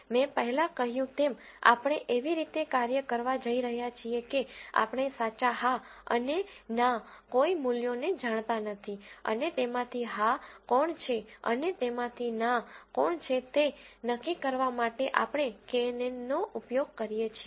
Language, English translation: Gujarati, As I said earlier, we are going to act in such a way that we do not know the true yes and no values and we use knn to predict which of them are yes and which of them are no